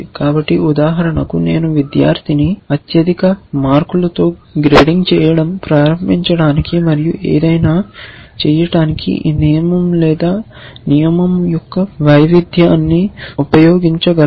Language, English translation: Telugu, So, for example, I could use such a rule, variation of this rule to start grading or something and say let me pick the student with the highest marks and do something and then you know that kind of stuff